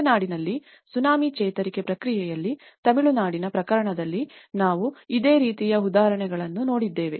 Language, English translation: Kannada, We have also seen similar examples in the Tsunami recovery process in Tamil Nadu, the case of Tamil Nadu